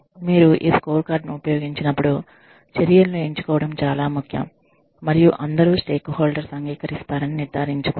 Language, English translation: Telugu, When you use this scorecard, it is very important to select the measures, and ensure that, all stakeholders agree